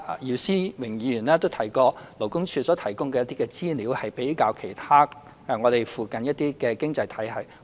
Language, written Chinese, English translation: Cantonese, 姚思榮議員剛才提到勞工處所提供的一些資料，與我們附近的一些經濟體系作比較。, Mr YIU Si - wing mentioned some information provided by the Labour Department and compared the figures with some of our neighbouring economies